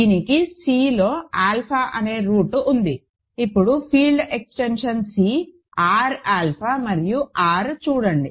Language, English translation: Telugu, So, it has a root say alpha in C; now look at the field extension C, R alpha and R, ok